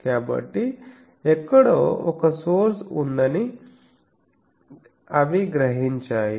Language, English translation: Telugu, So, they are sensing there is a source somewhere